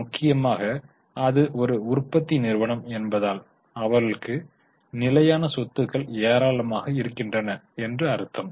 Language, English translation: Tamil, Mainly because it's a manufacturing company, they have got vast amount of fixed assets